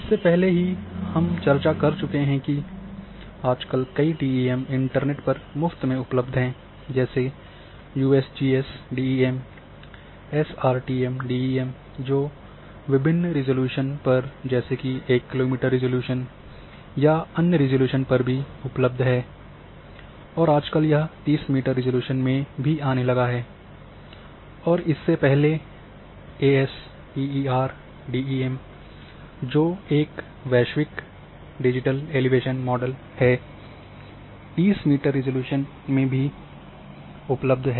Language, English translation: Hindi, As in previous lecture, we have discussed that there are several freely available DEMs are available on internet the USGS – DEM, SRTM DEM at different resolutions even including at one more, one kilometer resolution as well and nowadays recently it has they have started giving also 30 meter resolution and then earlier this thirty meter ASTER GDEM that is global digital elevation model for entire globe at 30 meters resolution is available